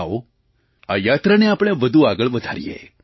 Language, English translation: Gujarati, Come on, let us take this journey further